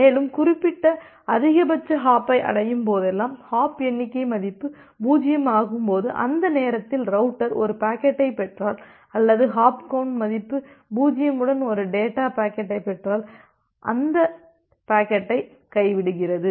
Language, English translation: Tamil, And whenever it reaches to certain maximum hop, when the hop count value becomes 0, during that time that the router if it receives a packet or receives a data packet with hop count value 0, it simply drops that packet